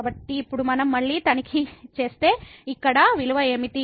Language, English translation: Telugu, So, now if we check again what is the value here